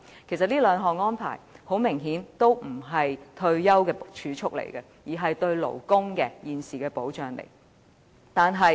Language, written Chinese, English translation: Cantonese, 其實，這兩項安排明顯不是為退休而儲蓄，而是屬於勞工保障。, Obviously these two arrangements are not intended as savings for retirement; they are forms of labour protection instead